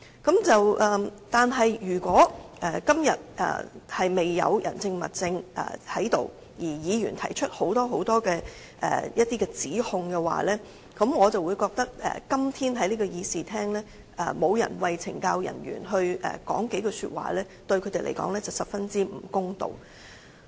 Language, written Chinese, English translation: Cantonese, 可是，如果今天未有人證、物證而議員提出多項指控的話，我便覺得今天在這個議事廳沒有人為懲教人員說幾句話，對他們是十分不公道的。, However if Members make such accusations without the witness or evidence and yet nobody is going to say a few words in this Chamber on behalf of CSD staff then I consider it unfair to CSD staff